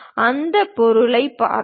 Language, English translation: Tamil, Let us look at that object